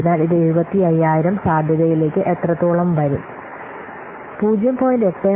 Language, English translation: Malayalam, So this will have much 75,000 into probability 0